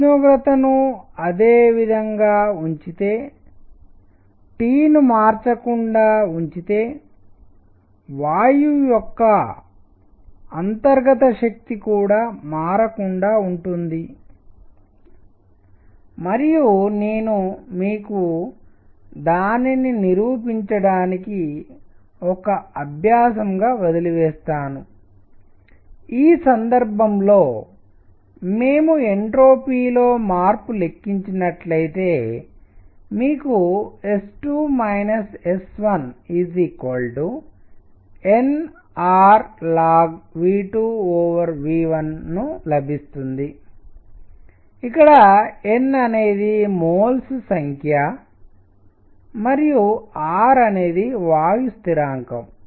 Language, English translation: Telugu, If the temperature is kept the same if T is kept unchanged the internal energy of gas also remains unchanged and I leave it as an exercise for you to show that; in this case, if we calculate the entropy change you get S 2 minus S 1 to be equal to n R log of V 2 minus V 1 V 2 over V 1 where n is the number of moles and R is gas constant